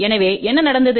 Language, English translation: Tamil, So, what happened